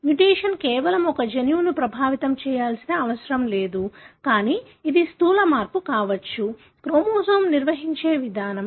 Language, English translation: Telugu, The mutation need not be affecting just one gene, but it could be a gross change, the way the chromosome is organized